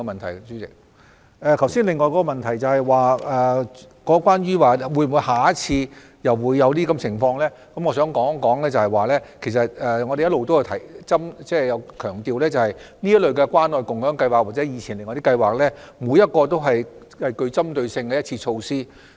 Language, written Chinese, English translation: Cantonese, 至於另一個問題，即下次會否再次出現類似的情況，我想指出，我們一直強調關愛共享計劃或以前的其他計劃都是具針對性的一次性措施。, As for the other question of whether similar situation would recur next time I wish to point out that the Scheme or other previous schemes are targeted one - off measures a point that we have highlighted all along